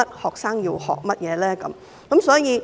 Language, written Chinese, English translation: Cantonese, 學生要學習甚麼？, What should students learn?